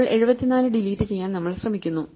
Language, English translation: Malayalam, Now, we try to delete 74